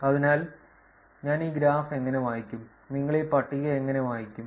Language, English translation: Malayalam, So, how do I read this graph this how do you read this table